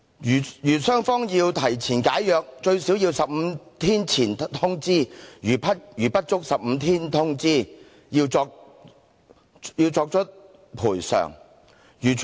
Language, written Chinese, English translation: Cantonese, 如雙方要提前解約，最少要15天前通知，如不足15天通知，要作出賠償。, Where both parties agree to early termination of the contract a notice shall be served at least 15 days prior to the date of termination or else compensation shall be paid